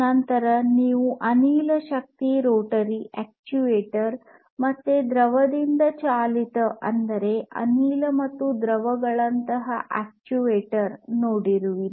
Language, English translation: Kannada, Then you have fluid power rotary actuator again powered by fluid such as gas liquids and so on